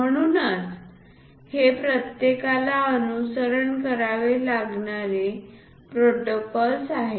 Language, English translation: Marathi, So, these are the protocols which one has to follow